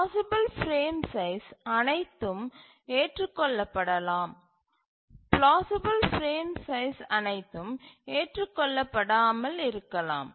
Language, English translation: Tamil, All plausible frame sizes may not be acceptable